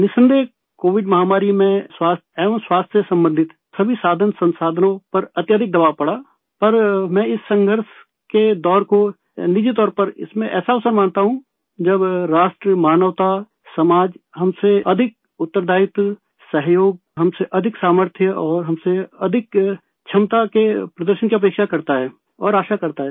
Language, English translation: Hindi, Undoubtedly during the Covid pandemic, there was a lot of strain on all the means and resources related to health but I personally consider this phase of cataclysm as an opportunity during which the nation, humanity, society expects and hopes for display of all that more responsibility, cooperation, strength and capability from us